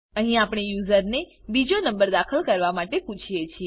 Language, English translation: Gujarati, Here we ask the user to enter the second number